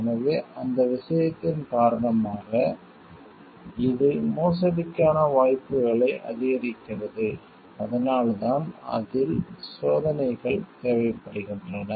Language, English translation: Tamil, So, because of that thing it in it is increase the chances of forgery and that is why it requires more checks